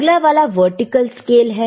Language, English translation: Hindi, Next 1 please, vertical scale,